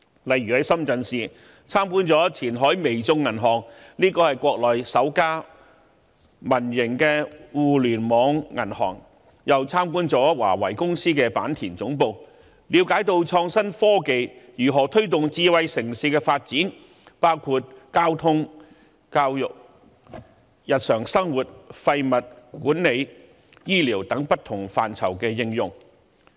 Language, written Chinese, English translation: Cantonese, 例如，在深圳市參觀了前海微眾銀行股份有限公司這間國內首家民營互聯網銀行，也參觀了華為技術有限公司的坂田總部，了解到創新科技如何推動智慧城市的發展，包括交通、教育、日常生活廢物管理、醫療等不同範疇的應用。, For example the delegation visited the Qianhai Weizhong Bank in Shenzhen . It is the first privately - own bank and the first Internet - only bank on the Mainland . The delegation also visited the Bantian Headquarters of Huawei Technologies Co Ltd to learn about how innovation and technology IT is applied to promote the development of a smart city including transportation education everyday waste management health care etc